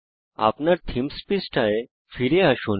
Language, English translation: Bengali, Lets go back to our Themes page